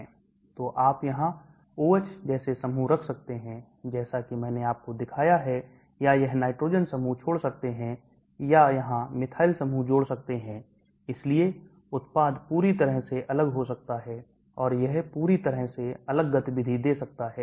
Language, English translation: Hindi, So you can have groups put in here like OH, as I showed you or this nitrogen groups can leave or here the methyl groups can leave, so the product can be completely different and it can give a totally different activity